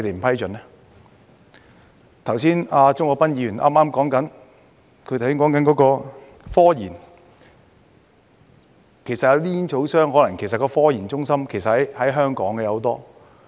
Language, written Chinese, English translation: Cantonese, 剛才鍾國斌議員提及科研，其實煙草商的那些科研中心有很多均可能設於香港。, Just now Mr CHUNG Kwok - pan mentioned scientific research . Many of the scientific research centres of tobacco companies may actually be located in Hong Kong